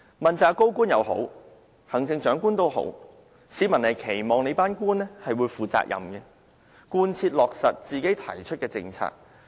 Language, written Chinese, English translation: Cantonese, 問責高官也好，行政長官也好，市民都期望官員負責任，貫徹落實他們所提出的政策。, People all government officials both accountable officials and the Chief Executive to have a sense of responsibility and implement the policies they propose